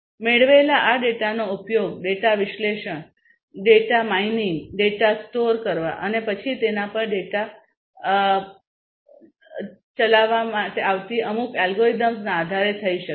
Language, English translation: Gujarati, So, this data that is obtained can be used for analyzing it, analyzing the data, mining the data, storing the data and then based on certain algorithms that are run on it on the data or using the data